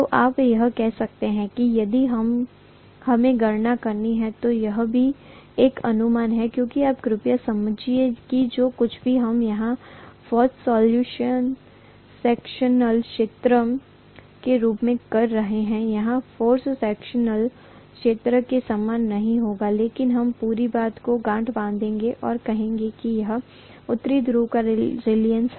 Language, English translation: Hindi, So you can say that if we have to make the calculation, this is also an approximation because you please understand that whatever we are having as the cross sectional area here, will not be same as the cross sectional area here but we are going to lump the whole thing and say that this is the reluctance of North pole